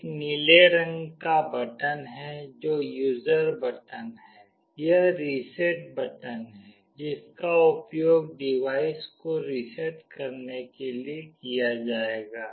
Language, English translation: Hindi, There is a blue color button that is the user button, this is the reset button that will be used to reset the device